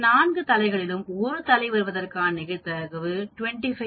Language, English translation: Tamil, Out of 4 times 1 head 25 percent probability